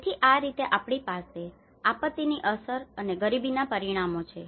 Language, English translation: Gujarati, So that is how we have this disaster impacts and poverty outcomes